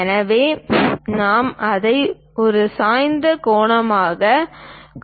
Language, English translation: Tamil, So, we are showing it as inclined angle